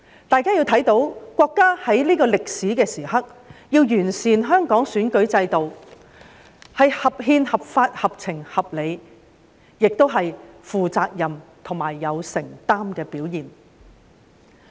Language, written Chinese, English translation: Cantonese, 大家看到國家在這個歷史時刻要完善香港選舉制度，是合憲、合法、合情、合理，也是負責任及有承擔的表現。, We can see that it is constitutional legal sensible and reasonable for the State to improve the electoral system of Hong Kong at this historical juncture which is also a display of responsibility and commitment